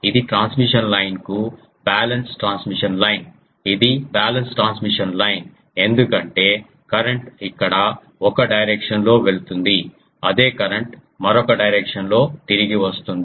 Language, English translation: Telugu, This is a balance transmission line to a transmission line is a balance transmission line because current is going here in one direction the same current is returning in the other direction